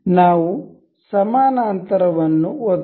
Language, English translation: Kannada, Let us click on parallel